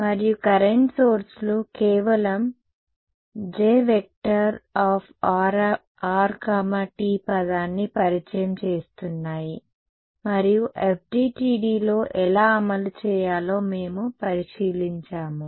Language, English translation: Telugu, And current sources simply introducing the J r comma t term and we looked at how to implemented in FDTD pretty straight forward